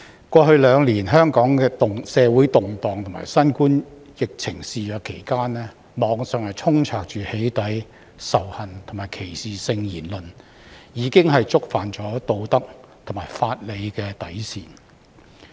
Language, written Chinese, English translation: Cantonese, 過去兩年香港社會動盪及新冠疫情肆虐期間，網上充斥"起底"、仇恨及歧視性言論，已經觸犯道德和法理的底線。, During the past two years of social unrest and the epidemic in Hong Kong the Internet has been flooded with doxxing hateful and discriminatory comments that have violated moral and legal boundaries